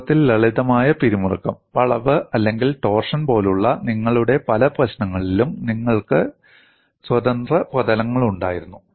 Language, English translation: Malayalam, In fact, in many of your problems like simple tension, bending, or torsion, you had free surfaces